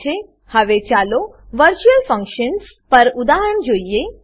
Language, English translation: Gujarati, Now let us see an example on virtual functions